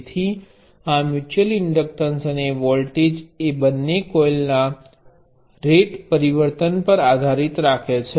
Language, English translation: Gujarati, So, this the mutual inductor and the voltage depends on the rate change of both coils